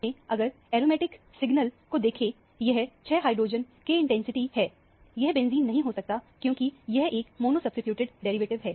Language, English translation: Hindi, In fact, the aromatic signal if you see, this is 6 hydrogen intensity, it cannot be benzene because it is a mono substituted derivative